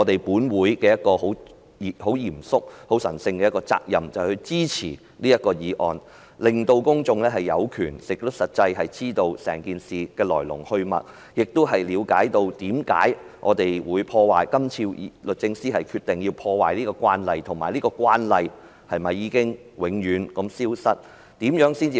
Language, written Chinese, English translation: Cantonese, 本會很嚴肅及神聖的責任，就是支持這項議案，令公眾有權並實際知道整件事的來龍去脈，以了解為何律政司今次要打破慣例，以及是否令這個慣例永遠消失？, This Council has a solemn and sacred duty to support this motion so as to facilitate the publics right to know the reasons and development of this incident and understand why DoJ has to break the convention and whether the convention will vanish from now on